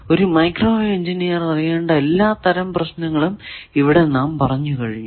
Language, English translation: Malayalam, That is all these type of problems as a microwave engineer you need to solve